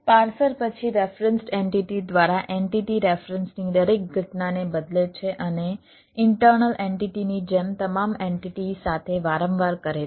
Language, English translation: Gujarati, the parser then replaces every occurrence of the entity ah reference by the referenced entity and does so recursively with all entities, like with the internal entities